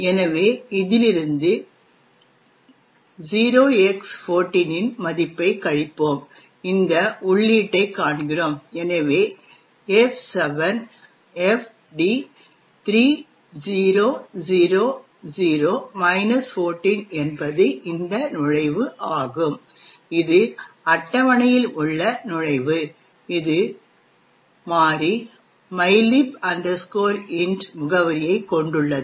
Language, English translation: Tamil, So, let us subtract from this, the value of 0X14 and we see this entry, so F7FD3000 14 is this entry which is the entry in GOT table which contains the address of the variable mylib int